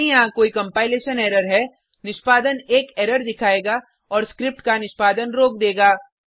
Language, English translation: Hindi, If there is any compilation error, execution will throw an error and will stop execution of script Now press Enter